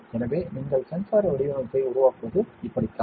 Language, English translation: Tamil, So, this is how you make a sensor design